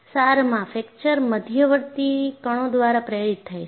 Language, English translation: Gujarati, And in essence, fracture is induced by intermediate particles